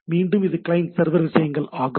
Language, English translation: Tamil, Again it is a client server things